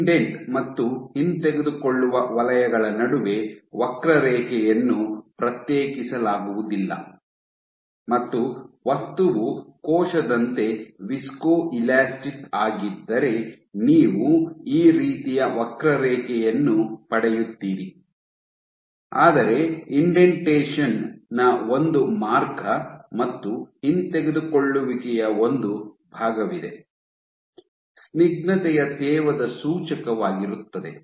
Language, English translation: Kannada, So, the curve is indistinguishable between the indent and the retract zones and if the material is viscoelastic like a cell you get a curve like this, but there is one path of indentation and one part of retraction; suggestive of viscous damping